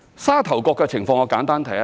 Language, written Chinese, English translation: Cantonese, 沙頭角的情況我會簡單提一提。, I will briefly talk about the situation in Sha Tau Kok